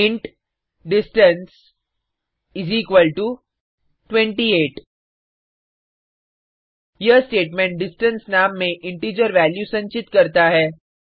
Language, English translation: Hindi, int distance equal to 28 This statement stores the integer value in the name distance